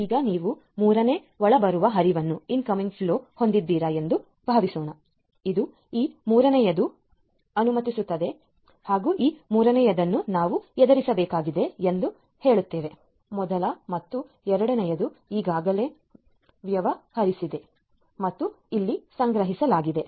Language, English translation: Kannada, Now, let us say that you have a third incoming flow that comes this is this third one let us say that we have to deal with this third one so, first and second already dealt with stored over here